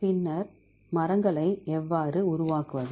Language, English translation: Tamil, Then how to construct the trees